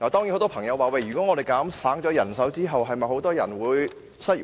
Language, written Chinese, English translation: Cantonese, 很多朋友說，減省人手後會否有很多人失業？, There are doubts as to whether the reduction of manpower will cause mass unemployment